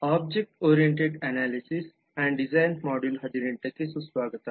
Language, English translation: Kannada, welcome to module 18 of object oriented analysis and design